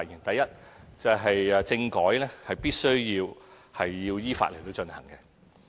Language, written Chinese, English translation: Cantonese, 第一，政改必須要依法進行。, First constitutional reform must be carried out in accordance with the law